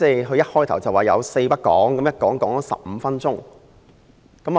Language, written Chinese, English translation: Cantonese, 他開始發言時說"四不講"，但一講便講了15分鐘。, At the beginning he said there were four issues he would not discuss; but in the end he has spoken for 15 minutes